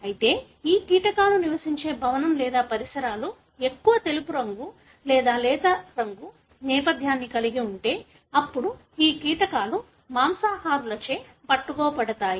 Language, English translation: Telugu, But however, if the building or the surroundings where these insects live have more white colour or lighter colour background, then these insects would be caught by the predators